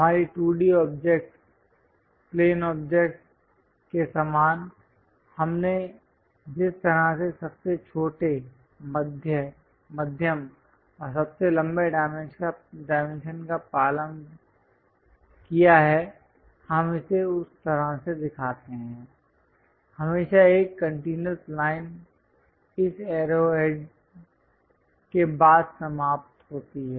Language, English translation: Hindi, Similar to our 2D objects, plane objects how we have followed smallest, medium and longest dimensions we show it in that way, always a continuous line followed by this arrow heads terminating